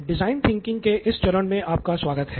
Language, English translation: Hindi, Hello and welcome back to this phase of design thinking